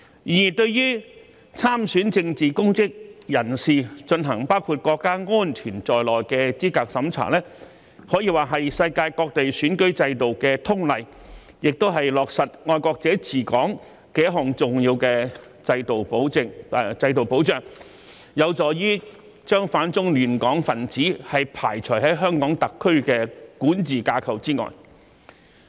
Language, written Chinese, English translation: Cantonese, 然而，對於參選政治公職人士進行包括國家安全在內的資格審查，可以說是世界各地選舉制度的通例，亦是落實"愛國者治港"的一項重要制度保障，有助將反中亂港分子排除在香港特區的管治架構之外。, Nevertheless it is the common practice of many countries in the world that people running for public offices have to undergo an assessment which covers national security . It is also the institutional safeguard of implementing patriots administering Hong Kong and helps exclude elements which oppose the Central Authorities and cause disturbance to the law and order of Hong Kong from the governance structure of HKSAR